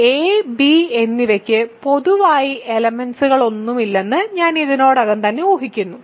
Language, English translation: Malayalam, So, I am already implicitly assuming that a and b have no common factors ok